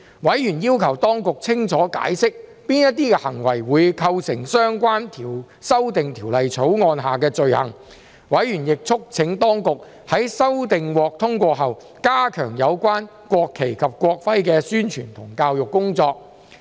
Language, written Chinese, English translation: Cantonese, 委員要求當局清楚解釋哪些行為會構成相關的修訂條例草案下的罪行，委員亦促請當局在修訂獲通過後加強有關國旗及國徽的宣傳和教育工作。, Members requested the Administration to explain clearly what would constitute an offence under the Amendment Bill . Members also urged the Administration to step up publicity and education on the national flag and national emblem after the passage of the amendments